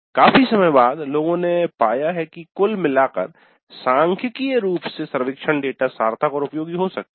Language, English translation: Hindi, But over a long period people have discovered that by and large statistically the survey data can be meaningful and useful